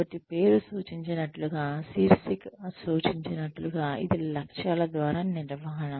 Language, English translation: Telugu, So, as the name suggests, as the title suggests, this is management by objectives